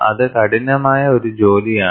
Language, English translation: Malayalam, That is a arduous task